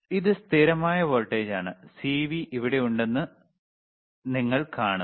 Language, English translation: Malayalam, It is constant voltage, you see CV there is here